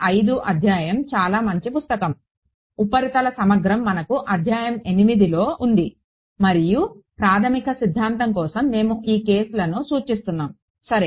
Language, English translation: Telugu, 5 of Peterson’s book is a very nice book, surface integral we had chapter 8 and for the basic theory we are referring to this cases ok